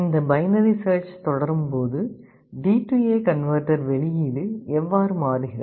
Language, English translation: Tamil, See as this binary search goes on, how the output of the D/A converter changes